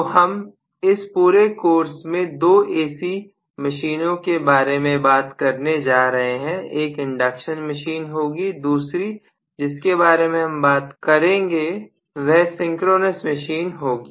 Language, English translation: Hindi, So we are going to talk about two AC machines in this entire course, one will be induction machine, the second one that we will be talking about will be synchronous machines okay